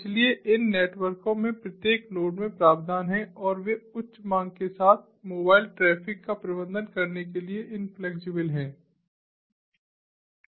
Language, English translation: Hindi, so there is over provisioning in each of the nodes in these networks and they are inflexible to manage the mobile traffic with high demand